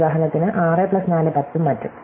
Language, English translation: Malayalam, So, for example, 6 plus 4 is 10 and so on